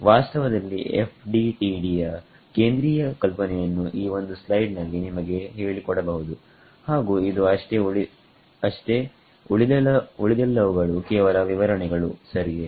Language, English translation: Kannada, In fact, the central idea of FDTD can be told to you in this one slide and that is it the rest of it are all just details ok